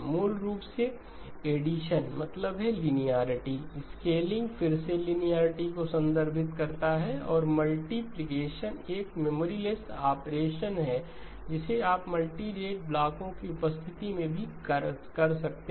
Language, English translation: Hindi, Basically addition means linearity, scaling again refers to linearity and multiplication is a memory less operation which you can do in the presence of multirate blocks as well